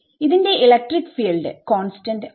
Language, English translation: Malayalam, So, its E electric field is not constant